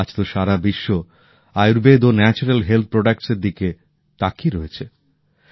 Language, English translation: Bengali, Today the whole world is looking at Ayurveda and Natural Health Products